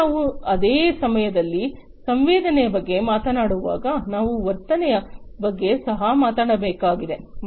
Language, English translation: Kannada, Now, when we talk about sensing at the same time we also need to talk about actuation